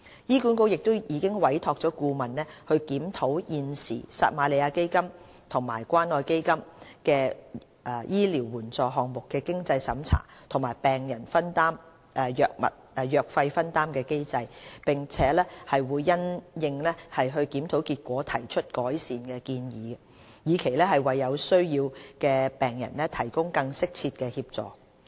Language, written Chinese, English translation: Cantonese, 醫管局已委託顧問檢討現時撒瑪利亞基金及關愛基金醫療援助項目的經濟審查和病人藥費分擔機制，並會因應檢討結果提出改善建議，以期為有需要的病人提供更適切的協助。, HA has commissioned a consultancy study to review the current financial assessment and patients co - payment mechanism under the Samaritan Fund and CCF Medical Assistance Programmes . Improvement measures will be put forward in the light of the review findings with the aim of providing more appropriate assistance for patients in need